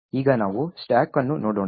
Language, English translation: Kannada, Now let us look at the stack